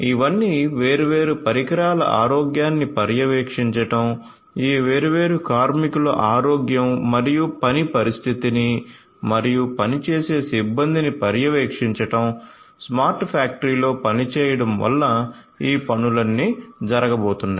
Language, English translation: Telugu, So, all of these so monitoring the health of the different devices, monitoring the health and the working condition of this different workers and the work force the personnel so on, working in a smart factory all of these things are going to be done